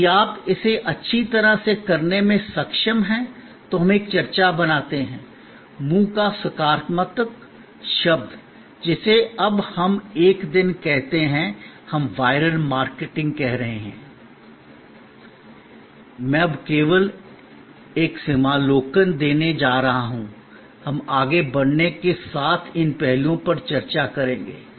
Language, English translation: Hindi, If you are able to do this well, then we create a buzz, the positive word of mouth, which we are now a days, we are calling viral marketing, I am going to give only an overview now, I am going to discuss these aspects more and more as we proceed